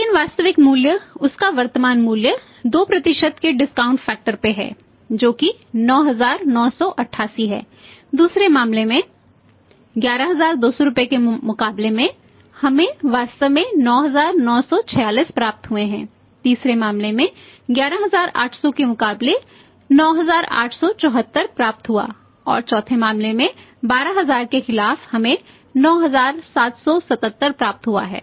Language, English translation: Hindi, But the value the real value present value of that is at discount factor of 2% is 9988, in thea second case against the 11200 rupees received we have actually received 9946 in the third case against 11800 receive 9874 and in fourth case against 12000 we have received 9777